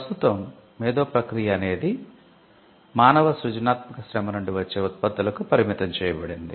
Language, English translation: Telugu, Currently an intellectual process is confined to the products that come out of human creative labour